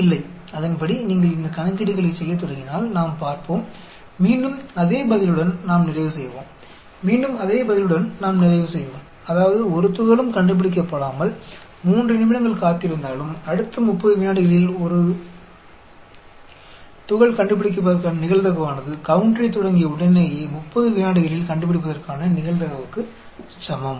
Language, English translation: Tamil, No, according, if you start doing these calculations, we will see, we will end up again with the same answer; we will end up again with the same answer, which means, even after waiting for 3 minutes without detecting a particle, the probability of a deduction in the next 30 seconds, is the same as the probability of deduction in the 30 seconds immediately after starting the counter